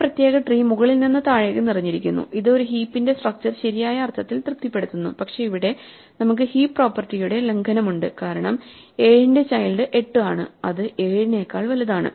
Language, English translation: Malayalam, This particular tree satisfies the structural property of a heap in the sense that it is filled from top to bottom, but we have here a violation of the heap property because 7 has a child which has a larger value than it namely 8